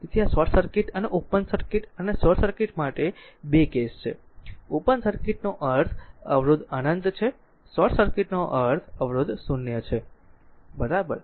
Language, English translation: Gujarati, So, this is the this is the your 2 cases for short circuit and a open circuit and short circuit, open circuit means resistance is infinity, short circuit means resistance is 0, right